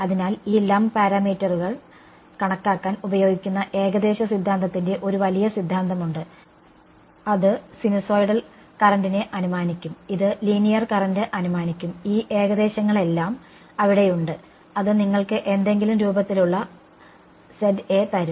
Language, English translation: Malayalam, So, there is a large theory of approximations which are used to calculate this lump parameters, it will assume sinusoidal current, it will assume linear current all of these approximations are there which will give you some form of Za ok